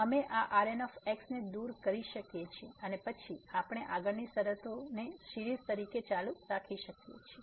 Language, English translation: Gujarati, So, we can remove this and then we can continue with the further terms as a series